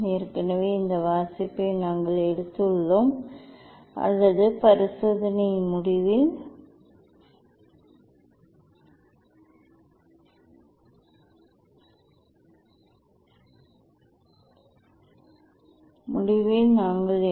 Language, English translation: Tamil, that already we have taken this reading or at the end of the experiment we will take